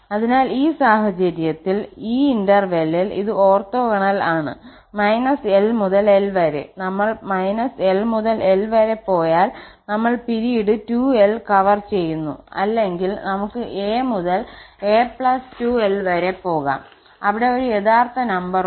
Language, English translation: Malayalam, So, in this case, this is orthogonal in on the interval minus l to l, if we go from minus l to l we are covering the period 2l or a to a pus 2l we can go, where a is any real number